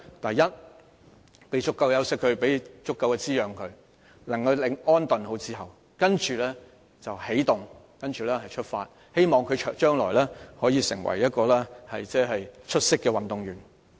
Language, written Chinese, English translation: Cantonese, 第一，讓他有足夠休息和滋養，好好安頓後再起動和出發，希望他將來可以成為一名出色的運動員。, First we should let him rest and be nourished sufficiently and after careful recuperation he will be reinvigorated to set off again and hopefully he will even become an outstanding athlete in future